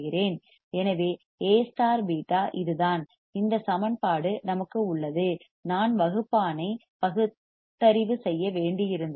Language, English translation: Tamil, So, A into beta is this we have this equation I had to rationalize the denominator and so we have this equation is it